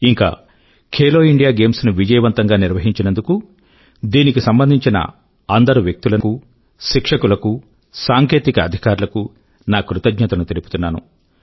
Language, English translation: Telugu, I also thank all the people, coaches and technical officers associated with 'Khelo India Games' for organising them successfully